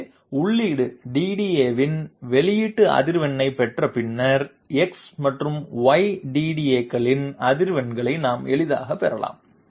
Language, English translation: Tamil, So having obtained the output frequency of feed DDA, we can easily obtain the frequencies of x and y DDA